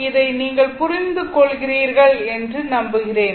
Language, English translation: Tamil, So, hope you are understanding this